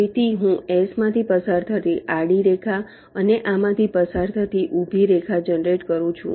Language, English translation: Gujarati, so i generate a horizontal line passing through s like this, and a vertical line passing through this